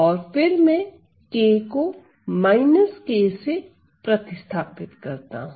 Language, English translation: Hindi, And then I can replace k by minus k